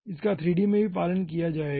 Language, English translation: Hindi, this will be followed in 3d also